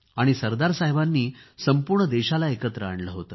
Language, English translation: Marathi, Sardar Saheb unified the country